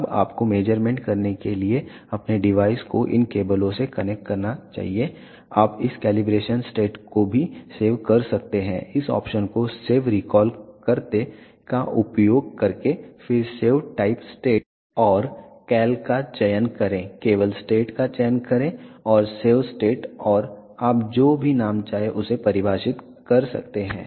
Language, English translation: Hindi, Now, you should connect your device to these cables to do the measurement you can also save this calibration state using this option save recall, then select save type state and cal then select state only and save state and you can define whatever name you want to define